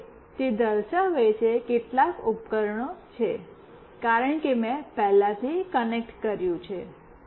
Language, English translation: Gujarati, Now, it is showing that there are some devices, as I have already connected previously